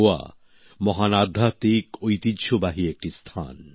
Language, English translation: Bengali, Goa has been the land of many a great spiritual heritage